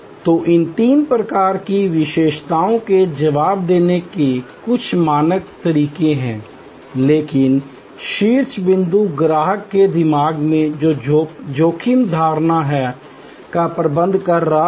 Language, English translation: Hindi, So, there are some standard methods of responding to these three types of attributes, but the top point there is managing the risk perception in customer's mind